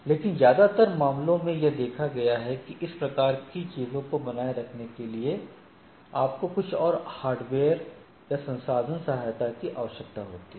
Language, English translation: Hindi, But, most of the cases it has be it has been seen that in order to maintain these both this type of things you require some more I should say hardware or resource support